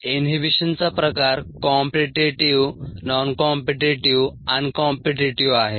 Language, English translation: Marathi, the type of inhibition is competitive, noncompetitive, uncompetitive